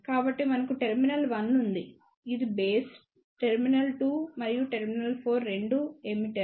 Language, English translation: Telugu, So, we have a terminal 1 which is base; terminal 2 and terminal 4 both are emitter